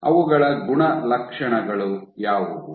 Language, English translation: Kannada, What are their properties